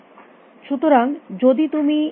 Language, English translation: Bengali, So, if you if you write this